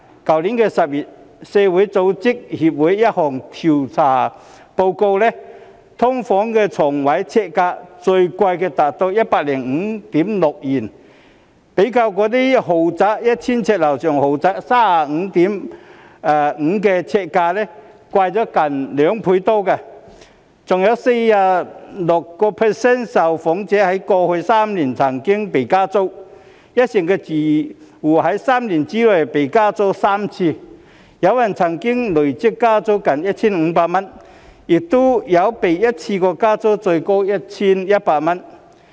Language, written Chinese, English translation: Cantonese, 去年10月，社區組織協會一項調査報告指出，"劏房"床位呎價最貴達 105.6 元，較 1,000 呎以上豪宅的 35.5 元呎價貴近2倍；更有 46.5% 的受訪者在過去3年曾被加租，一成住戶在3年內被加租3次，有人曾被累積加租近 1,500 元，亦有被一次過加租最高 1,100 元。, Last October in a survey report published by the Society for Community Organization it was pointed out that the highest per sq ft rent for a bed space in SDU has reached 105.6 which was almost thrice as that for luxurious residential units of an area of 1 000 sq ft or above ie . 35.5; there were even 46.5 % of respondents who had faced rent increases in the past three years amongst which 10 % of tenants had faced rent increases thrice within three years some had the cumulative rent increase at nearly 1,500 and there was also the highest single rent increase at 1,100